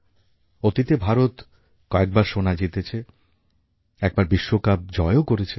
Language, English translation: Bengali, India has won gold medals in various tournaments and has been the World Champion once